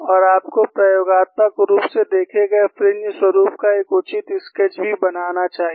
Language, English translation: Hindi, And you should also make a reasonable sketch of the experimentally observed fringe pattern